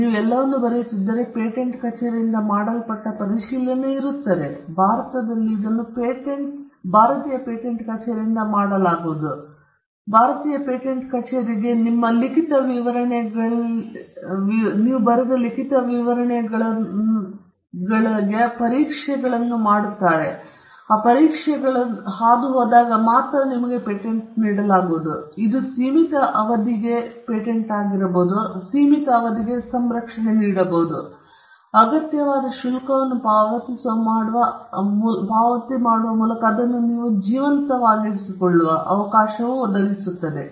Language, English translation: Kannada, If you put everything in writing, there is a scrutiny that is done by the patent office; in India, it is done by the Indian Patent office and only when you pass the tests that the Indian patent office will subject your written description to, will you be granted a patent, which will give you a title and a protection for a limited period of time, provided you keep it alive by paying the required fees